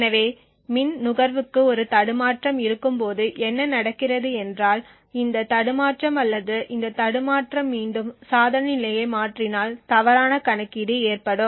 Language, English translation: Tamil, So what happens when we have a glitch in the power consumption is that this glitch or this glitch can again toggle the device state resulting in a wrong or faulty computation